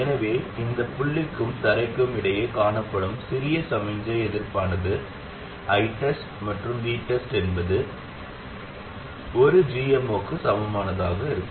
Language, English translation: Tamil, So the small signal resistance seen between this point and ground is nothing but V test by I test equals 1 over GM0